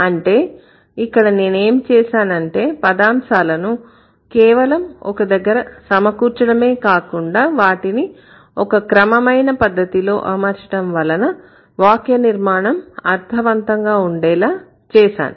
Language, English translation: Telugu, So, here what I did, I not only did I put the phrases together, I also arranged it in such a way that the construction would be meaningful